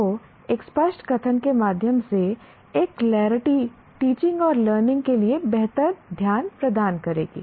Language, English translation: Hindi, So, a clarity through an explicit statement will provide much better focus for teaching and learning